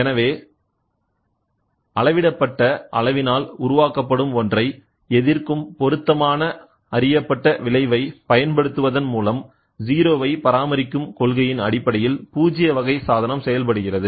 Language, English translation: Tamil, So, you can also have a null type device working on the principle of maintaining a 0 deflection by applying an appropriate known effect that opposes the one generated by the measured quantity